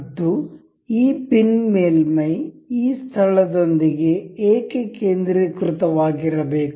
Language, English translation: Kannada, And this pin surface has to be concentric concentric with this space